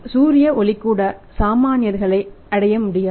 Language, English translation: Tamil, Even the sunlight was beyond the reach of the common man